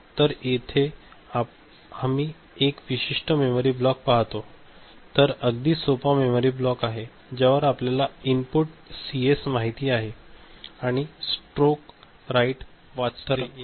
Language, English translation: Marathi, So, here we see a particular memory block is a very simple memory block right, which is having a control you know input CS and read stroke write